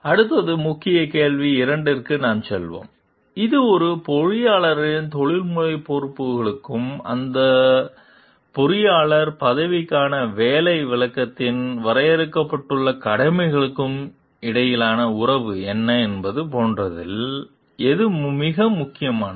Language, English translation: Tamil, Next, we will move on to the Key Question 2 which is also very important like what is the relationship between an engineer s professional responsibilities and the duties delineated in that in the job description for that engineers position